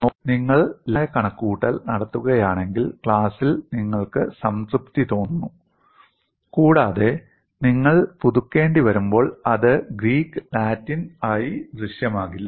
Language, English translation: Malayalam, See, if you do the simple calculation, in the class you feel satisfied, and also when you have to revise, it will not appear as Greek and Latin